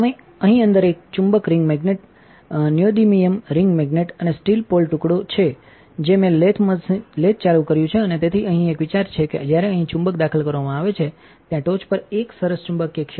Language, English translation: Gujarati, Inside here is a magnet a ring magnet neodymium ring magnet and an a steel pole piece that I turned on the lathe and so, the idea here is that when the magnet is inserted into here like this there is a nice magnetic field on the top here and you can even see one that I cracked my disk unfortunately